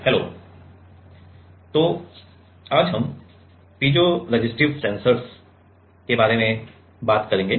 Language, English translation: Hindi, So, today, we will talk on piezoresistive sensors